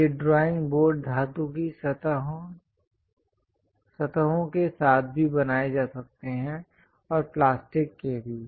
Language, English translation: Hindi, So, these drawing boards can be made even with metallic surfaces and also plastics